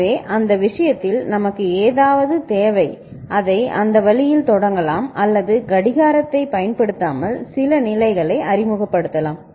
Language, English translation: Tamil, So, in that case we need something by which it can be initialised in that manner ok or some state can be introduced without the application of the clock